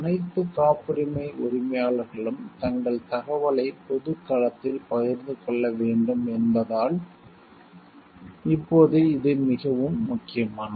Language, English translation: Tamil, Now it is very important like the all the patent owners are required to share their information in public domain